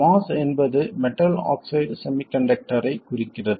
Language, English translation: Tamil, The moss stands for metal oxide semiconductor